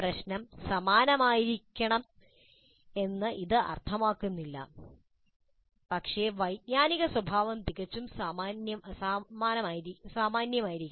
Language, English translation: Malayalam, This is not to say that the problem should be identical but the cognitive nature should be quite similar